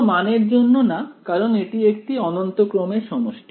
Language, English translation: Bengali, For no value for it is a the sum of the infinite series is that yeah